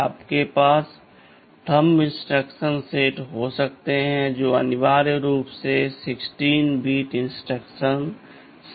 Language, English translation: Hindi, Yyou can have the thumb instruction set which is essentially a 16 6 bit instruction set right so